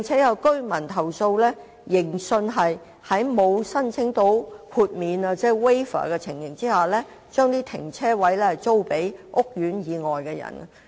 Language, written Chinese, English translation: Cantonese, 有居民亦投訴指盈信在沒有申請豁免的情況下，將車位租予屋苑以外的人。, Some residents have also complained that Vantage has rented car parking spaces to non - residents without applying for exemptions